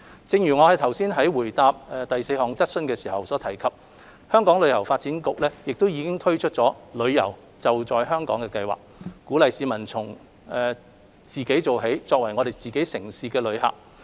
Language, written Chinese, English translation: Cantonese, 正如我剛才在回答第四項質詢時所提及，香港旅遊發展局已推出"旅遊.就在香港"計劃，鼓勵市民從自己做起，作為自己城市的旅客。, As mentioned in my reply to Question 4 the Hong Kong Tourism Board HKTB has launched the Holiday at Home campaign to encourage Hong Kong people to take initiatives and be tourists in our own city